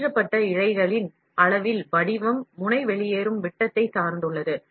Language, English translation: Tamil, The shape on the size of the extruded filament depends on the nozzle exit diameter